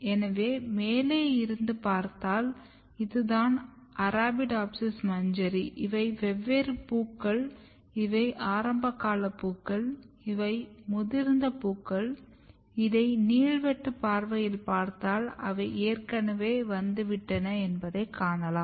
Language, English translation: Tamil, So, if you look on the top, this is how Arabidopsis growing, Arabidopsis inflorescence looks these are the different flowers, these are early flowers, these are mature flowers where you can see that they have already come if you look the longitudinal view